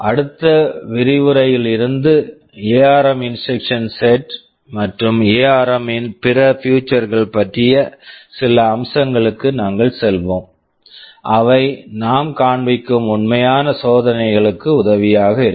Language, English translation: Tamil, From the next lecture onwards, we shall be moving on to some aspects about the ARM instruction set and other features of ARM that will be helpful in the actual experimentation that we shall be showing